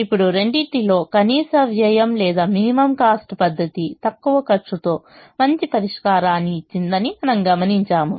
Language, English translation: Telugu, now, between the two, we observed that the minimum cost or least cost method gave a better solution with the lower cost